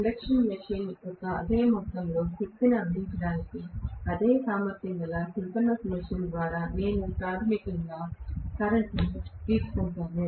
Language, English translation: Telugu, I can have basically lower current being drawn by a synchronous machine of the same capacity to deliver the same amount of power as that of an induction machine